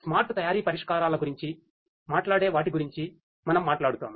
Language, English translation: Telugu, We talk which talks about the smart manufacturing solutions and so on